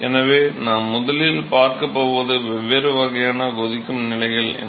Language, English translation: Tamil, So, we are going to first describe; what are these different types of boiling stages